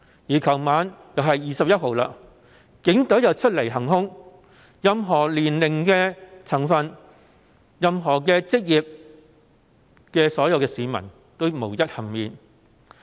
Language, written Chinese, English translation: Cantonese, 昨天晚上是21日，警隊又再次出來行兇，任何年齡、職業的市民無一幸免。, Last night was the 21of the month and we saw police officers coming out to do violence again . All members of the public old and young with different professions could not be spared